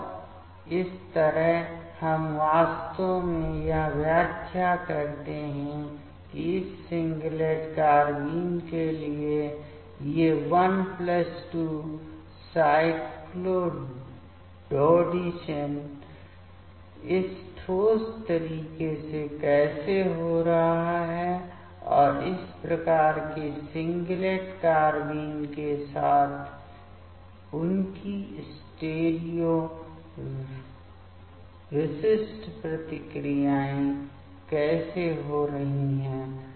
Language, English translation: Hindi, And this way we can actually interpret that how these 1+2 cycloadditions for this singlet carbenes happening in this concerted manner and how their stereo specific reactions happening with this type of singlet carbenes